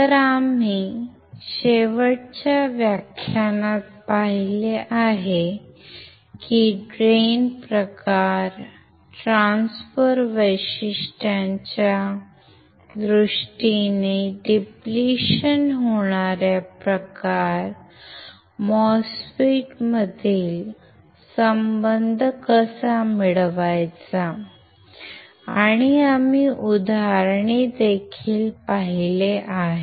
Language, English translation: Marathi, So, we have seen in the last lecture actually, that was last module right of the same lecture, that how can we derive the relation between depletion type MOSFET in terms of drain characteristics, transfer characteristics, and we have seen examples as well